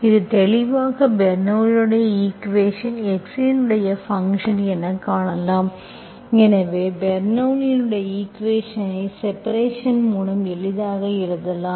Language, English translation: Tamil, So what should I do, so to make it, this is clearly Bernoulli s equation, function of x, so we can easily see, so easily we can rewrite like Bernoulli s equation by dividing it